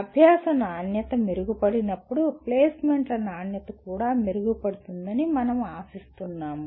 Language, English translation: Telugu, When quality of learning is improved we expect the quality of placements will also improve